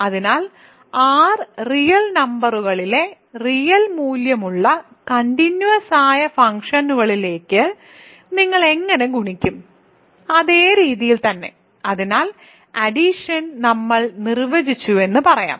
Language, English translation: Malayalam, So, how do you multiply to real valued continuous functions on R real numbers, the exactly the same way; so, let us say that we defined addition